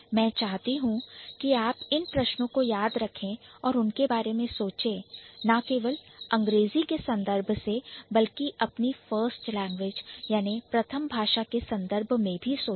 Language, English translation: Hindi, So, I want you to remember these questions and to think about it, not only from the context of English, but also from the context of your own first language